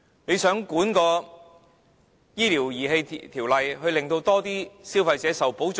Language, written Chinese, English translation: Cantonese, 它想藉"醫療儀器條例"來監管市場，令更多消費者受保障。, The Government wants to regulate the market and protect more consumers through the introduction of the medical devices bill